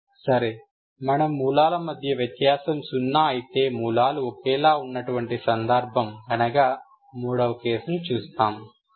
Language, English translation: Telugu, Ok we will see the third case that is when the difference between the roots is zero, same, zero that means roots are same